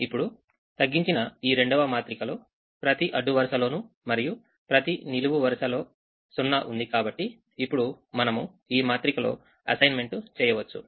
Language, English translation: Telugu, now the second reduced matrix will have atleast one zero in every row and every column and we make assignments in it